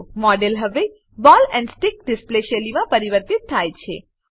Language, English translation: Gujarati, The model is now converted to ball and stick style display